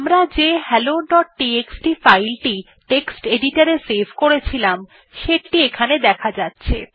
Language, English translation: Bengali, Hey we can see that the same hello.txt file what we saved from text editor is here